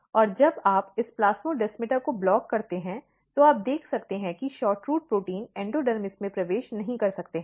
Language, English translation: Hindi, And when you block this plasmodesmata, you can see that the SHORTROOT proteins cannot enter in the endodermis